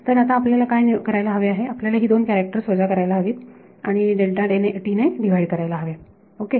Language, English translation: Marathi, So, now, what do we have to do we have to subtract these two characters and divide by delta t ok